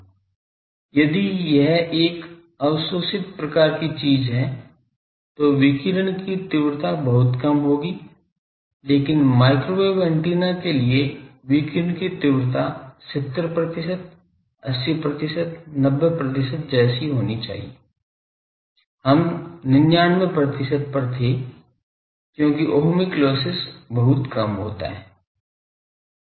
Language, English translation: Hindi, If it is an absorber type of thing, then radiation intensity will be very low but for microwave antennas the radiation intensity should be 70 percent, 80 percent, 90 percent like that , we were 99 percent also it can be because Ohmic loss is very small